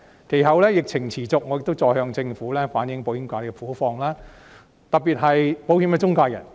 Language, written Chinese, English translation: Cantonese, 其後疫情持續，我亦再向政府反映保險界的苦況，特別是保險中介人。, As the outbreak continued I further relayed to the Government the plight of the insurance sector particularly insurance intermediaries